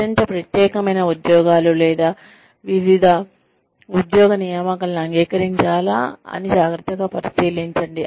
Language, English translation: Telugu, Consider carefully, whether to accept, highly specialized jobs or isolated job assignments